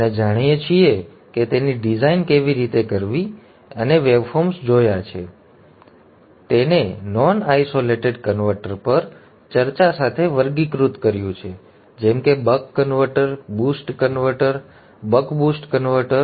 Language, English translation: Gujarati, We have looked at the waveforms and then we followed it up with a discussion on non isolated converters like the buck converter, the boost converter, the buck boost converter